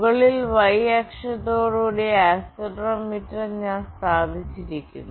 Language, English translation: Malayalam, I have put up the accelerometer with y axis at the top